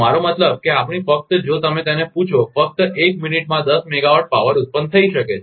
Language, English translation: Gujarati, I mean we just just if you ask that in it, power can be generated in ten megawatt just in one minute